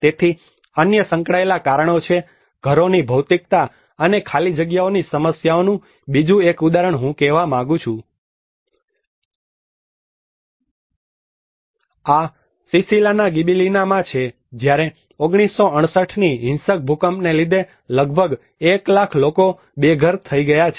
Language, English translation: Gujarati, So there are other associated reasons, the materiality of houses and problematic of spaces another example I would like to say This is in Gibellina in Sicily when 1968 a violent earthquake have destroyed almost 1 lakh people became homeless